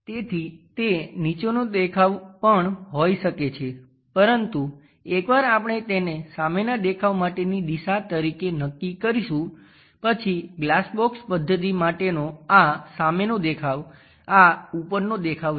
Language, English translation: Gujarati, So, that can be bottom view also, but once we fix this one as the front view direction, then this will becomes this is the front view this is the top view for glass box method